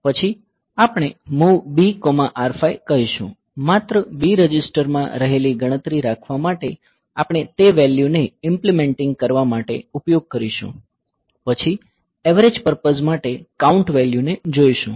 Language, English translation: Gujarati, Then we say like MOV B comma R5 just to keep a count that it is in the B register we are we will be using that value for implementing and all; then with count value for averaging purpose